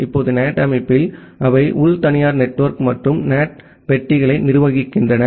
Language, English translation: Tamil, Now, in NAT the organization, they manages the internal private network and the NAT boxes